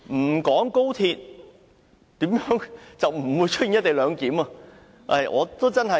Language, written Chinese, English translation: Cantonese, 沒有高鐵，便不會出現"一地兩檢"。, Without XRL there would not be any co - location arrangement